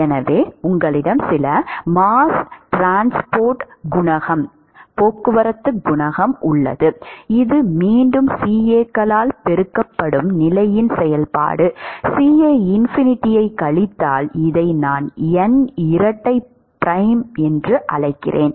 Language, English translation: Tamil, So, you have some mass transport coefficient which is again A function of position multiplied by CAs minus CAinfinity, I call this N double prime